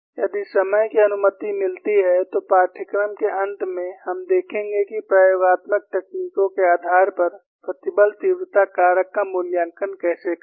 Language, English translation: Hindi, If time permits, towards the end of the course, we would see how to evaluate the stress intensity factor based on experimental techniques